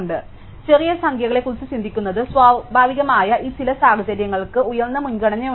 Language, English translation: Malayalam, So, this some situation it is natural to think of smaller numbers is higher priority